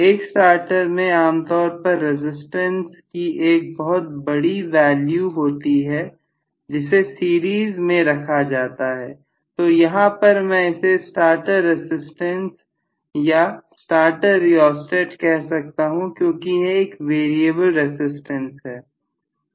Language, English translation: Hindi, A starter will generally consist of a very large value of resistance so if I have a large resistance included in series here so I may call this as the starter starter resistance or starter rheostat because it will be a variable resistance